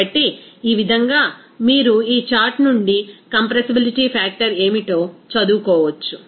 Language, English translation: Telugu, So, this way, you can read what should be the compressibility factor from this chart